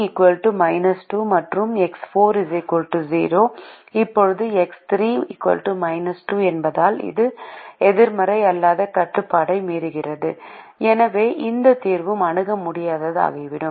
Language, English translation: Tamil, now, because x three is equal to minus two, it violates the non negativity restriction and therefore this solution also becomes infeasible